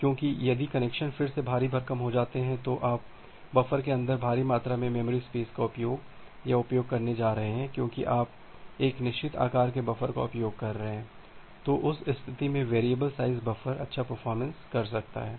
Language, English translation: Hindi, Because if the connections are heavily loaded again, you are going to use or going to waste huge amount of memory space inside the buffer because you are using a fixed size buffer, then in that case the variable size buffer may perform well